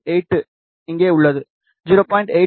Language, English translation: Tamil, 8 is here, 0